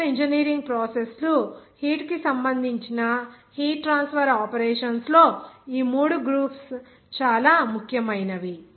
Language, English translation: Telugu, These three groups are very important in heat transfer operations where the chemical engineering processes are related to the heat